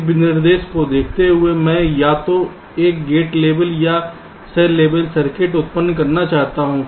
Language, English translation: Hindi, given a specification, i want to generate either a gate level or a cell level circuit